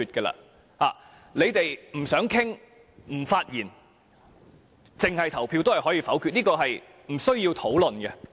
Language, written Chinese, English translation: Cantonese, 他們不想討論，不發言，只作表決也可以否決議案，這是不需要討論的。, For any question they do not wish to discuss they need make no speech but take part in the voting to veto the motion and there will be no discussion